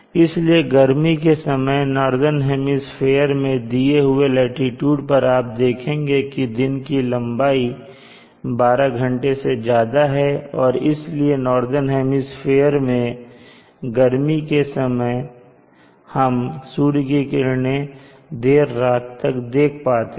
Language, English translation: Hindi, So for latitudes in the northern hemisphere in summer you will see that they have the length of the day greater than to 12 hours and that is why in summer the northern latitudes we will see will have sunlight even late into the night